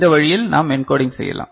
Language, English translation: Tamil, So, how we can get this encoding done